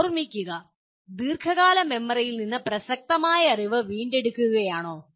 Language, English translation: Malayalam, Remembering is retrieving relevant knowledge from the long term memory okay